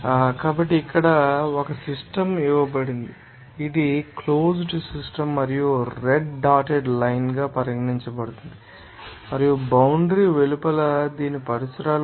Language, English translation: Telugu, So, here one system here is given this is the closed system and here red dotted line is regarded as boundary and outside the boundary it will be called a surroundings